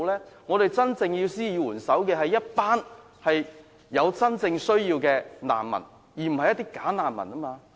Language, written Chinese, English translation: Cantonese, 需要我們施以援手的是一群有真正需要的難民，不是"假難民"。, Those who need our hand are refugees with a genuine need not the bogus refugees